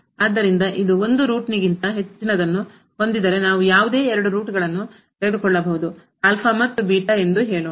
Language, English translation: Kannada, So, if it has more than root then we can take any two roots let us say alpha and beta